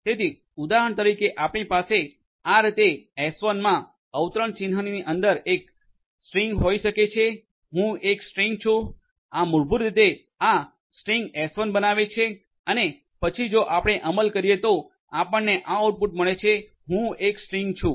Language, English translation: Gujarati, So, for example, you can have a string defined in this manner s1 equal to within quotation mark I am a string, this will basically create this string s1 and then if you execute then you get this output I am a string